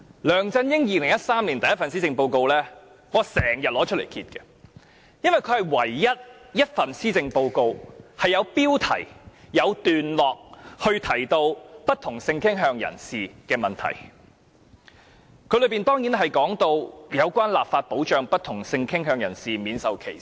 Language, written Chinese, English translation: Cantonese, 梁振英在2013年推出首份施政報告，我至今也經常拿出來翻看，因為這是唯一一份有標題、有段落提到不同性傾向人士問題的施政報告，當中當然有提到關於立法保障不同性傾向人士免受歧視。, LEUNG Chun - ying announced his first policy address in 2013 . Even now I still read it from time to time because it is the only policy address which devotes a separate heading and paragraph to people of different sexual orientations . It talks about whether an anti - discrimination law is needed to protect people of different sexual orientation